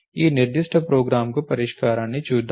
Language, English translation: Telugu, So, let us look at a solution to this particular program